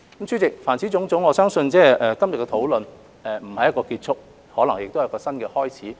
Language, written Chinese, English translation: Cantonese, 主席，凡此種種，我相信今天的討論並不是一個終結，可能是一個新的開始。, President to conclude I believe our discussion today is not the end but probably a new start